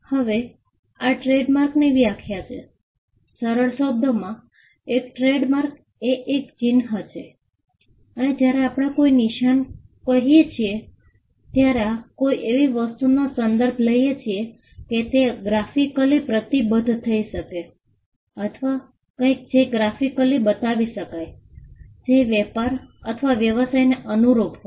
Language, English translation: Gujarati, Now, this is the definition of the trademark “A trademark in simple terms is a mark and when we say a mark we refer to something that can be graphically symbolized or something which can be shown graphically which is attributed to a trade or a business”